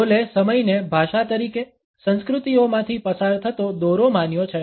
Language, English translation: Gujarati, Hall has treated time as a language, as a thread which runs through cultures